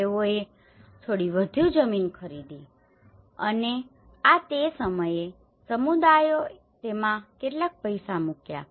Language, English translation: Gujarati, And they bought some more land and this is where communities have put some money in it